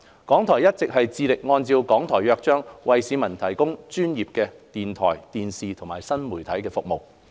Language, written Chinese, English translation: Cantonese, 港台一直致力按照《港台約章》為市民提供專業的電台、電視及新媒體服務。, RTHK has all along been committed to providing professional radio television and new media services to the Hong Kong people in accordance with the Charter